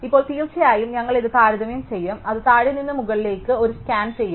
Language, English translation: Malayalam, Now of course, we will compare it will one scan from bottom to top